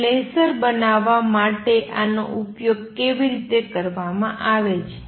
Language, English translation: Gujarati, Now, how is this used into formalize to make lasers